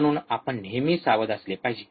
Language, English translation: Marathi, So, we should always be careful